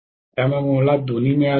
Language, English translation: Marathi, So I have got both